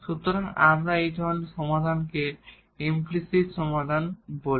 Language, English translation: Bengali, So, we call such solution as implicit solution